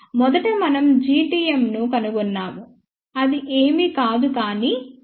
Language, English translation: Telugu, So, first we find out G tm which is nothing, but S 21 square